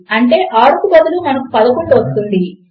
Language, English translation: Telugu, So, that means, instead of 6 we will get 11